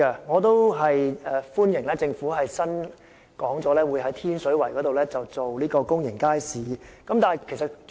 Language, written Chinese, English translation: Cantonese, 我歡迎政府表示會在天水圍興建公營街市，但我希望當局澄清一點。, I welcome the Governments announcement on the construction of a public market in Tin Shui Wai yet I would like the authorities to clarify the following point